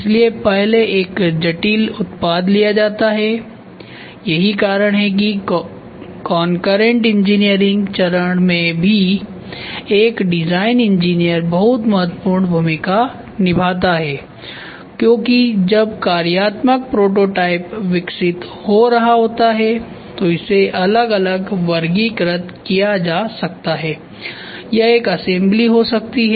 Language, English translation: Hindi, So, first a complex product is taken that is why even in concurrent engineering stage a design engineer plays a very important role because when the functional prototype is getting developed itself it can be distinguishly be classified this can be one assembly; this can be one assembly; this can be one assembly ok